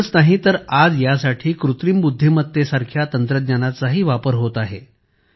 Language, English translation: Marathi, Not only that, today a technology like Artificial Intelligence is also being used for this